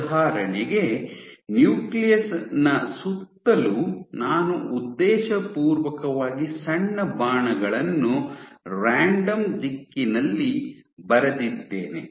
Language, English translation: Kannada, So, for example, right around the nucleus I have intentionally drawn small arrows in random direction